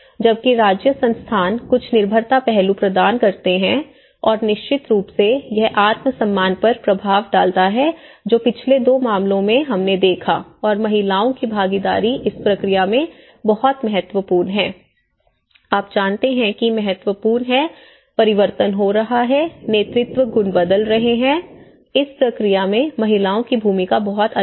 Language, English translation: Hindi, Whereas the state institutions provide certain dependency aspect and this definitely have an impact on the self esteem which in the last two cases, which we have seen and participation of women is very significant in this process, you know the change is happening, the leadership qualities are changing, the role of women is very different in this process